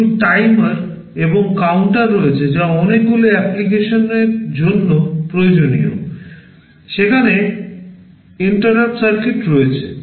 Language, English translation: Bengali, There are some timers and counters that are required for many applications, there are interrupt circuits